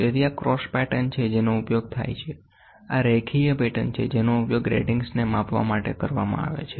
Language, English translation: Gujarati, So, these are cross patterns which are used, these are linear patterns which are used to measure the gratings